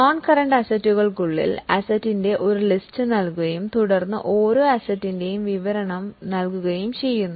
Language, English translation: Malayalam, Overall within non current assets a list of asset is provided and then the description of each asset is given